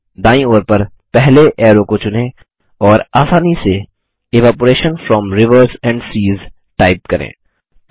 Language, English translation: Hindi, Select the first arrow to the right and simply type Evaporation from rivers and seas